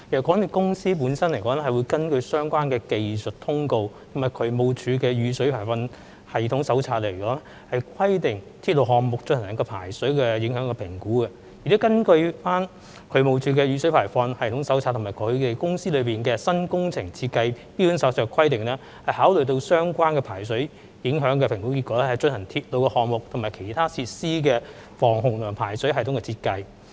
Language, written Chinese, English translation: Cantonese, 港鐵公司本身會根據相關的技術通告及渠務署的《雨水排放系統手冊》的規定，為鐵路項目進行排水影響評估，並會根據渠務署的《雨水排放系統手冊》和港鐵公司的《新工程設計標準手冊》的規定，考慮相關的排水影響評估結果，以進行鐵路項目和其他設施的防洪和排水系統設計。, MTRCL carries out drainage impact assessments for its railway projects as required in accordance with the relevant technical circulars and the DSD Stormwater Drainage Manual . MTRCL also considers the drainage impact assessment results as required in accordance with the DSD Stormwater Drainage Manual and its New Works Design Standard Manual in designing the flood protection and drainage systems for its railway projects and other facilities